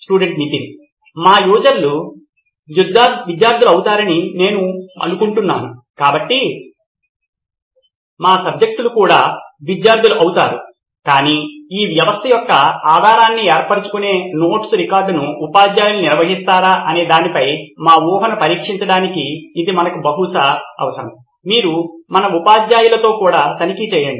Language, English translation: Telugu, I think our users would be students, so our subjects would also be students but in order to test our assumption as to whether teachers maintain record of the notes that would form the base of this system that is something that we need to probably check with our teachers as well